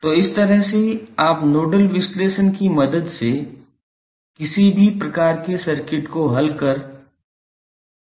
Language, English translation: Hindi, So, with this way you can solve any type of any type of circuit network with the help of nodal analysis